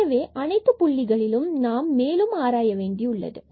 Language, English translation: Tamil, So, at all these points we need to further investigate